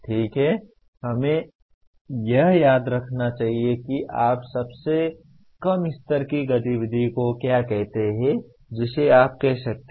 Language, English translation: Hindi, Okay, let us look at remember that is the most what do you call lowest level activity you can say